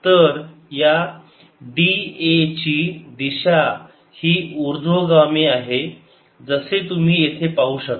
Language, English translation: Marathi, so the direction of this d a, it's upwards, as you can see here